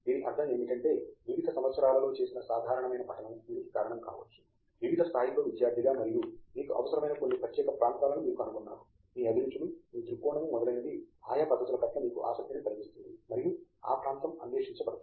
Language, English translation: Telugu, I mean this could be due to a lot of general reading you have done in over the years as a student at various levels and you have found some particular area that appeals to you, that interests you in terms of kinds of details that they are looking at, the manner in which the area is being explored and so on